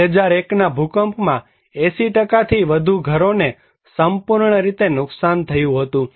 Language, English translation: Gujarati, More than 80% of the houses were totally damaged by 2001 earthquake